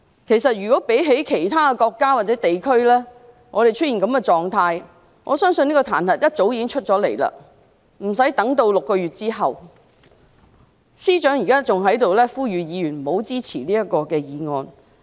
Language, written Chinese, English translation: Cantonese, 其實，如果其他國家或地區出現這種狀況，我相信彈劾議案早已出現，無須等待6個月後才提出，司長還在此呼籲議員不要支持這項議案。, In fact if this happens in other countries or regions I believe an impeachment motion must have been proposed long ago and there is no need to wait for six months before it is proposed . The Chief Secretary even called on Members not to support this motion here